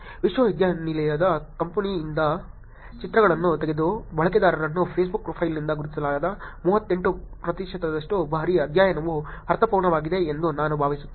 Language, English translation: Kannada, I hope the study is making sense which is 38 percent of the times the users that were taken pictures from the university campus were identified from the Facebook profile